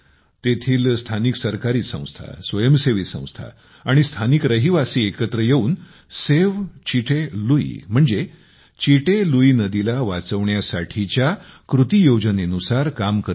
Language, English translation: Marathi, For this, local agencies, voluntary organizations and local people, together, are also running the Save Chitte Lui action plan